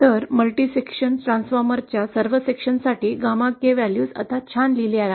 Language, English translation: Marathi, So all the sections of the multi section transformer the gamma K values are now written down nicely